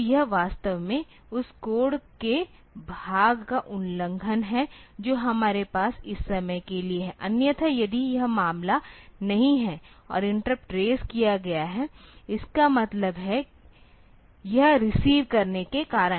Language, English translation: Hindi, So, this is actually skipping over the part of the code that we have for this time; otherwise, so if this is not the case and the interrupt has been raised; that means, it is due to receiving